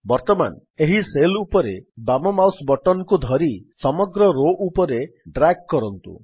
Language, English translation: Odia, Now hold down the left mouse button on this cell and drag it across the entire row